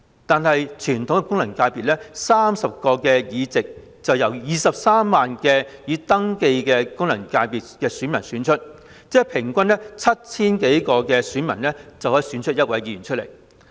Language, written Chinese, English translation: Cantonese, 但是，傳統功能界別的30個議席卻由23萬名已登記的功能界別選民選出，即平均 7,000 多名選民就可以選出1名議員。, However the 30 seats of the traditional FCs are returned by 230 000 registered electors ie . some 7 000 electors return one Member on average